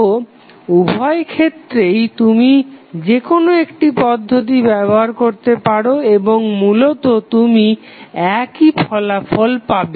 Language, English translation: Bengali, So, in both of the cases you can use either of them and you will get eventually the same result